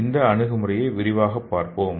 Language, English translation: Tamil, So let us see this approach in detail